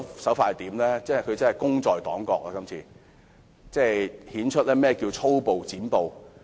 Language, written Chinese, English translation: Cantonese, 她真是"功在黨國"，顯出何謂粗暴"剪布"。, She did make great contribution to the party - state and demonstrated how to cut off a filibuster forcibly